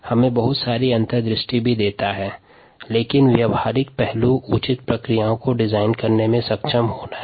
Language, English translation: Hindi, it also gives us a lot of insights, but the practical aspect is to be able to design appropriate processes